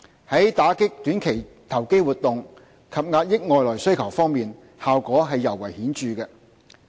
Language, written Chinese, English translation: Cantonese, 在打擊短期投機活動及遏抑外來需求方面，效果尤為顯著。, They are particularly effective in combating short - term speculation and curbing external demand